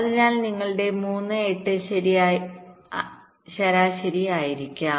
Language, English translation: Malayalam, so your three, eight will be average